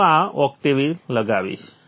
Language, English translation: Gujarati, I will open this octave